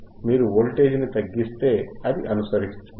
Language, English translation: Telugu, right, i If you decrease athe voltage, it is following